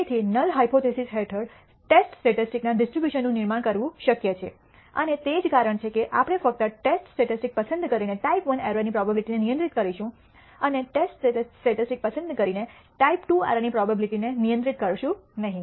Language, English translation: Gujarati, Therefore, it is possible to construct the distribution of the test statistic under the null hypothesis and that is the reason we only end up con controlling the type I error probability and not the type II directly by choosing the test statistic